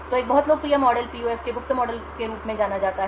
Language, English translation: Hindi, So one very popular model is something known as the secret model of PUF